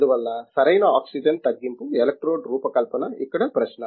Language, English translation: Telugu, Therefore, the designing proper oxygen reduction electrode is the question here